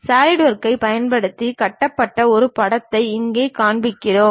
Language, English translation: Tamil, Here we are showing a picture constructed using Solidworks